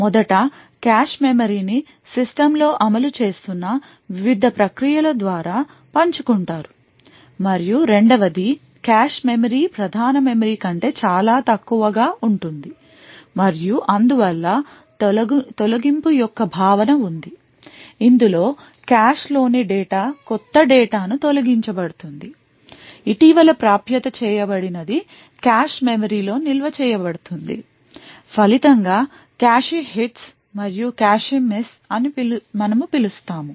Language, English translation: Telugu, First, the cache memory is shared by various processes present which is executing on the system and secondly the cache memory is considerably smaller than the main memory and therefore there is a notion of eviction wherein the data present in the cache is evicted a new data which is recently accessed is stored in the cache memory so as a result we have something known as cache hits and cache misses